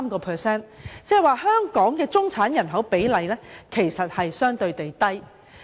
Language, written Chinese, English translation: Cantonese, 換言之，香港的中產人口比例相對較低。, In other words Hong Kong has a relatively lower proportion of middle - class population